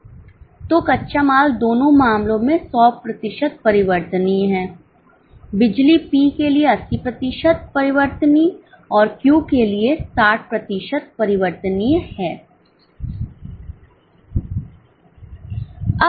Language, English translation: Hindi, So, raw material is 100% variable in both the cases, power is 80% variable for P and 60% variable for Q and so on